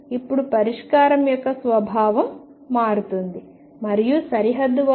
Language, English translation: Telugu, Now the nature of the solution changes and at the boundary x equals L by 2